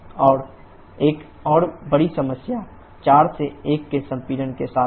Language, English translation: Hindi, And another big problem is with the compression from 4 to 1